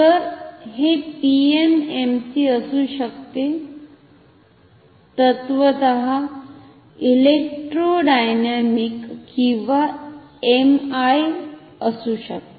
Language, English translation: Marathi, So, this is this can be PMMC, can be electrodynamic or MI in principle